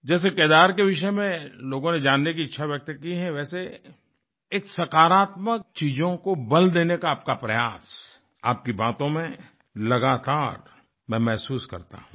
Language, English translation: Hindi, The way people have expressed their wish to know about Kedar, I feel a similar effort on your part to lay emphasis on positive things, which I get to know through your expressions